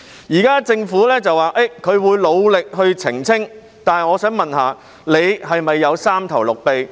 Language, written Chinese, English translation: Cantonese, 現時政府表示會努力澄清，但我想問，局長是否有三頭六臂？, Now the Government said that it would work hard to make clarifications but let me ask the Secretary this Does he have superhuman abilities?